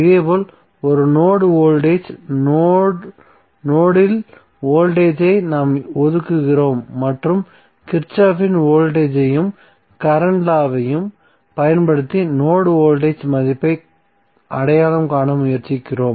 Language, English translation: Tamil, Similarly, a node voltage we were assigning voltage at the node and using Kirchhoff’s voltage and current law we were trying to identify the node voltage value